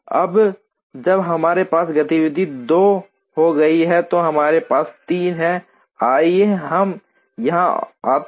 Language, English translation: Hindi, Now, once we have activity 2 competed, then we have 3; let us here that comes in